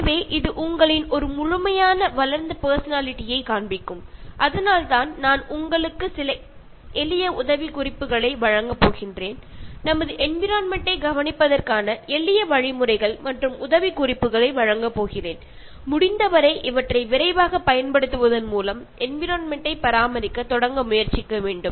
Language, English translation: Tamil, So that will show you as a fully developed personality, so that is why I am going to give you some simple tips, simple steps for caring for our environment and try to start caring for the environment by using these tips as quick as possible